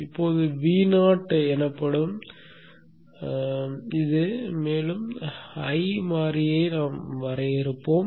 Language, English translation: Tamil, So now we shall define one more variable called V0